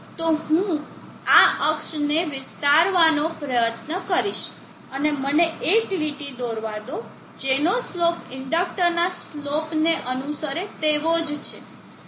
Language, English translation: Gujarati, So what I will do is try to extent this access and let me draw a line which is having this same slope as the following slope of the inductor